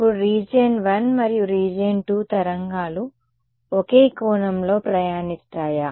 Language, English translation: Telugu, Now, region I and region II will the waves be travelling at the same angle